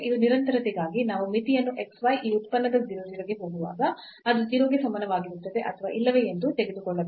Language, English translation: Kannada, And, now for continuity we have to take the limit as x y goes to 0 0 of this function whether it is equal to 0 or not